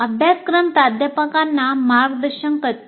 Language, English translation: Marathi, So the syllabus should guide the faculty